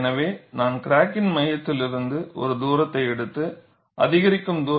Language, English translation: Tamil, So, I can take a distance s from the center of the crack, and look at incremental distance ds